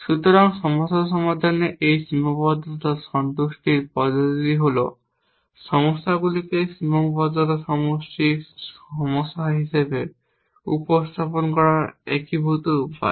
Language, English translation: Bengali, So, this constraint satisfaction approach to solving problems is unified way of representing problems as constraint satisfaction problems as we will see today